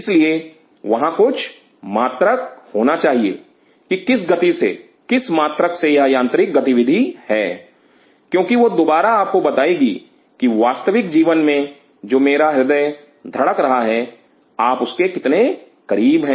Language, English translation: Hindi, So, there has to be some unit at what rate at what unit this is mechanical activity is, because that will again tell you that how close you are to the real life my heart is beating